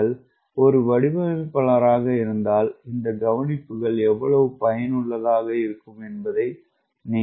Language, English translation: Tamil, if you are designer you will find how useful are these observation